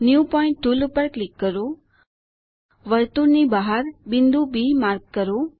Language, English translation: Gujarati, Click on the New pointtool,Mark a point B outside the circle